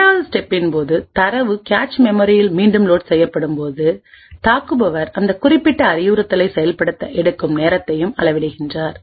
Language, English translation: Tamil, And during the 2nd step when the data is reloaded into the cache, the attacker also measures the time taken for that particular instruction to execute